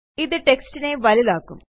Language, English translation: Malayalam, This will make the text bigger